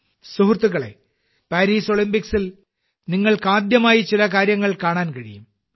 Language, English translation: Malayalam, Friends, in the Paris Olympics, you will get to witness certain things for the first time